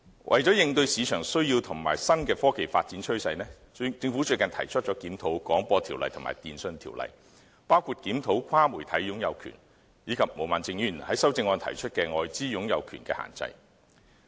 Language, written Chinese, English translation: Cantonese, 為應對市場需要及新的科技發展趨勢，政府最近提出檢討《廣播條例》及《電訊條例》，包括檢討跨媒體擁有權，以及毛孟靜議員在修正案提出的外資擁有權的限制。, To meet market needs and keep up with new trends of technological development the Government recently proposed reviewing the Telecommunications Ordinance and the Broadcasting Ordinance covering such issues as cross - media ownership and foreign ownership restrictions mentioned in Ms Claudia MOs amendment